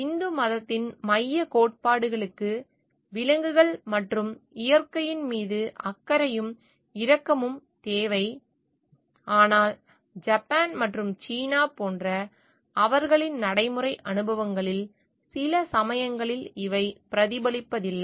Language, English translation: Tamil, The central tenets of Hinduism require care and compassion for animals and nature, but these sometimes does not reflect to be the reflection in their practical experiences like in Japan and China